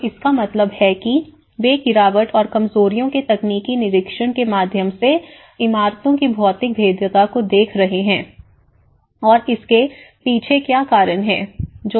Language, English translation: Hindi, So, which means they are looking at the physical vulnerability of the buildings through a technical inspection of falls and weaknesses and what are the reasons behind these